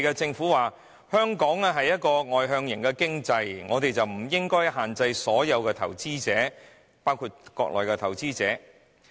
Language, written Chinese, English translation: Cantonese, 政府說道，香港屬外向型經濟，因此不應該限制外地投資者，包括內地投資者。, The Government has said Hong Kong being an outward - looking economy would not impose any restrictions on overseas investors including those from the Mainland